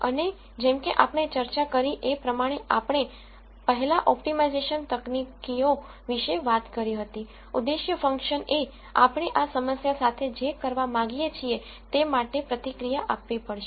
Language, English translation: Gujarati, And as we discussed before when we were talking about the optimization techniques, the objective function has to reffect what we want to do with this problem